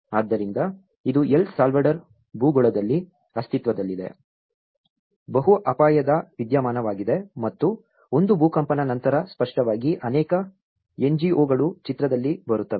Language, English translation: Kannada, So, this is a multiple hazard phenomenon which existed in El Salvador geography and one is after the earthquake obviously, with many NGOs come into the picture